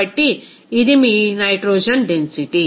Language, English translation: Telugu, So, this is your density of nitrogen